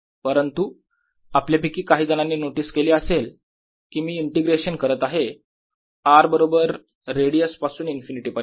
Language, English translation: Marathi, but some of you may have noticed that i am doing an integration from r equal to radius upto infinity